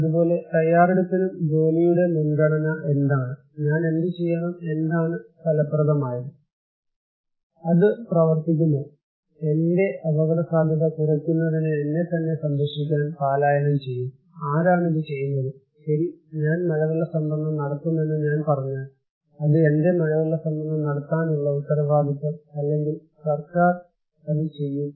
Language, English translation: Malayalam, Similarly, preparedness; what is priority of work, what should I do, what is effective, will it work, evacuation will work to protect myself to reduce my risk, who will do it, if I am saying that okay I will put rainwater harvesting, is it my responsibility to put rainwater harvesting or the government will do it